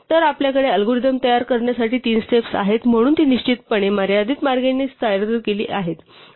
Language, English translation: Marathi, So, we have three steps at constitute the algorithm so it certainly presented in a finite way